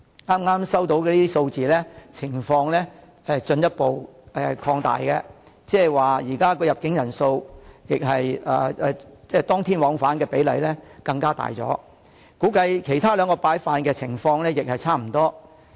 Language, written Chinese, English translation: Cantonese, 剛才收到的一些數字顯示情況進一步擴大，現時入境人數、當天往返的比例更大，估計其他兩板塊的情況亦差不多。, The statistics I just received show the situation has further deteriorated . At present the ratio of same - day in - town visitors has increased further and we estimate that the situations of the other two places are more or less the same